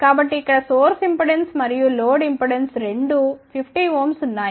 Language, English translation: Telugu, So, here the source impedance and load impedance has both are 50 ohm each